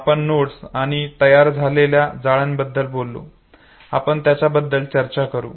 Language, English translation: Marathi, We talked about the nodes and the network that is formed we will talk about it again